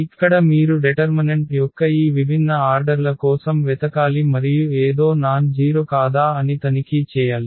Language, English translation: Telugu, Here you have to look for these different orders of determinants and check whether something is nonzero